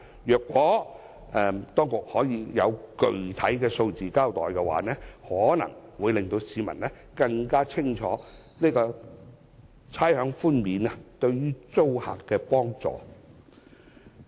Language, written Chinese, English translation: Cantonese, 如果當局可以交代具體的數字，可能會令市民更清楚知道差餉寬免對租客的幫助。, If the Government can provide the specific figures it may help the public understand more clearly how tenants can benefit from rates concessions